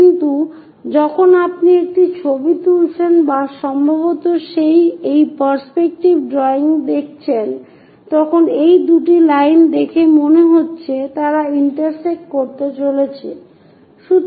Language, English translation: Bengali, But when you are taking a picture or perhaps looking through this perspective drawing, these two lines looks like they are going to intersect